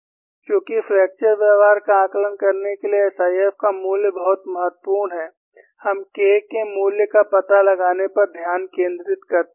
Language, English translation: Hindi, And as the value of SIF is very important to assess the fracture behavior, we focus on finding out the value of K